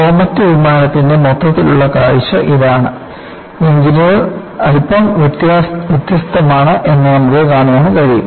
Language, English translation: Malayalam, This is the overall view of the Comet aircraft, and you can see the engines are slightly different; it is not like what you have now